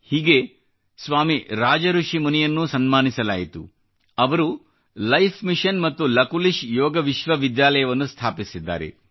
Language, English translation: Kannada, Similarly, Swami Rajarsrhi Muni the founder of Life Mission and Lakulish Yoga University was also honoured